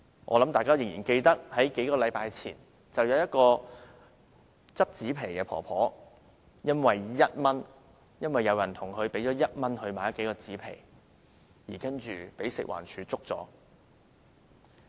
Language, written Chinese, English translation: Cantonese, 我想大家仍然記得，數星期前有一名撿紙皮的婆婆因為有人向她用1元買了數塊紙皮，而被食物環境衞生署檢控。, I believe everyone still remembers the incident a few weeks ago in which an old woman was prosecuted by the Food and Environmental Hygiene Department for selling some cardboards for 1